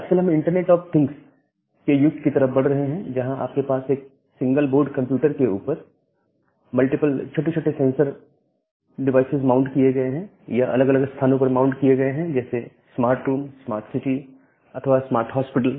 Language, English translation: Hindi, And nowadays we are moving towards the era of internet of things, where you have multiple small sensor devices mounted on single board computers which are mounted on different places in a smart room or smart city or a smart hospital